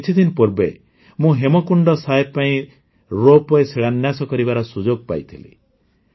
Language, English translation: Odia, A few days ago I also got the privilege of laying the foundation stone of the ropeway for Hemkund Sahib